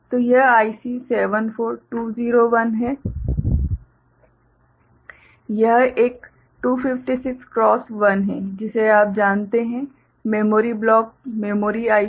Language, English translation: Hindi, So, this is IC 74201, this is a 256 cross 1 you know, memory block memory IC